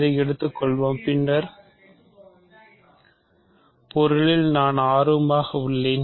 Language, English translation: Tamil, So, let us take this, I am interested in the following object